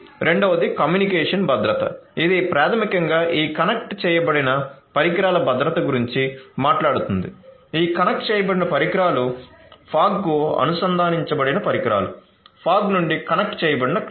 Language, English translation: Telugu, The second is the communication security which is basically talking about you know security of these connected devices, these connected devices themselves, connected devices to the fog, connected fog to cloud